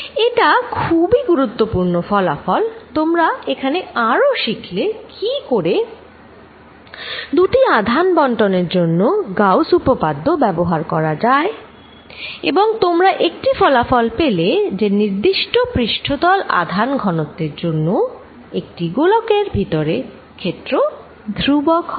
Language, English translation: Bengali, That is a very important result, you also learnt in this how to use Gauss theorem with two charge distributions and it gives you a result that for a particular surface charge density you get a constant field inside this is sphere